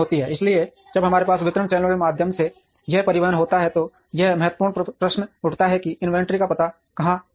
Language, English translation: Hindi, So, when we have this transportation through distribution channels, the important question that arises is where do I locate the inventory